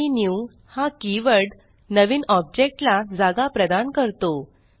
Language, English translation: Marathi, And the new keyword allocates space for the new object to be created